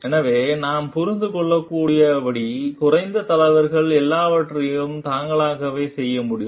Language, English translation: Tamil, So, like we can understand low leaders can do everything by themselves